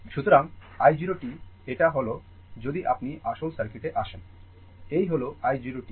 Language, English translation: Bengali, So, i 0 t that is your if you come to the original circuit, this is the i 0 t right